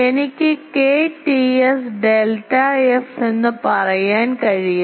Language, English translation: Malayalam, So, I can say K T s delta f